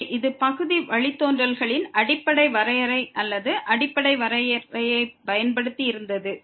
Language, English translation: Tamil, So, this was using the basic definition of or the fundamental definition of partial derivatives